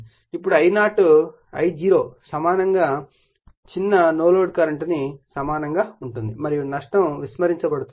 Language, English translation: Telugu, Now, I0 is equally small no load current and loss is neglected right